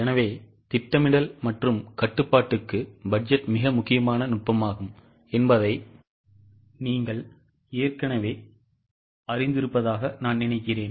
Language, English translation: Tamil, So, I think you already know that budget is a very important technique for planning as well as control